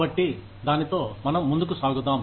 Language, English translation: Telugu, So, let us get on with it